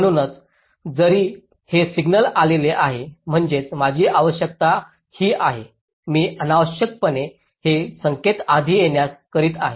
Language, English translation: Marathi, so even if this signal has arrived means, my requirement is this: i am unnecessarily making this signal arrive earlier